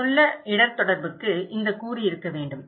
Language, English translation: Tamil, An effective risk communication should have this component